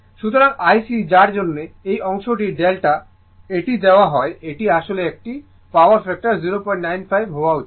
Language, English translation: Bengali, So, IC right for which this this, this portion that this is the delta this is given this is actually one, power factor should be 0